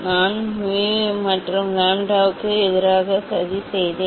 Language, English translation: Tamil, I plotted I plotted mu versus lambda